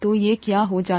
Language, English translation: Hindi, So this is what happens